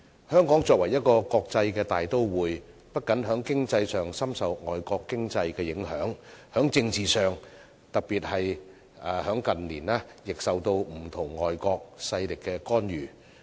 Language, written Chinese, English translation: Cantonese, 香港作為一個國際大都會，不僅在經濟上深受外圍經濟的影響，在政治上，特別在近年，亦受到不同外國勢力的干預。, Hong Kong is an international metropolis . Economically it is susceptible to the impact of the external economy . Politically it has also come under the intervention of various external forces especially in recent years